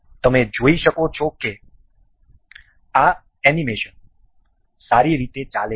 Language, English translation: Gujarati, You can see this animation running well and fine